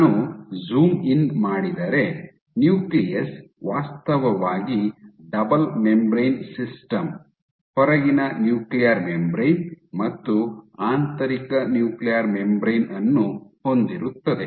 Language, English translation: Kannada, So, if I zoom in so the nucleus actually has is a double membrane system you have outer nuclear membrane and inner nuclear membrane